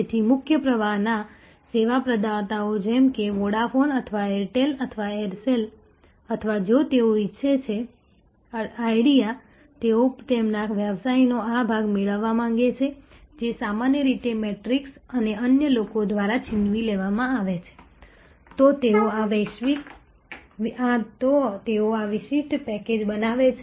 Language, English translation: Gujarati, So, the main stream service providers like Vodafone or Airtel or Aircel or if they want to, Idea, they want to capture this part of their business, which is normally taken away by people like matrix and others, then they create this special package